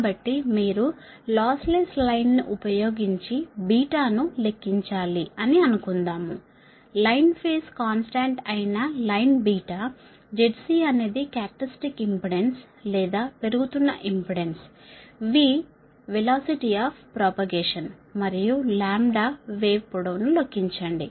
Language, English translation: Telugu, so assume here you assume a loss less line, you have to compute beta, the line beta, that is the line, phase, constant, z, c, that characteristic impedance, or surge impedance, v, velocity of propagation, and lambda, the wave length, right